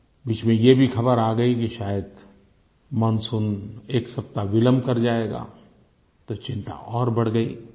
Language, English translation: Hindi, And in the midst of this came the information that the monsoon will perhaps be delayed by a week, which has added to the worry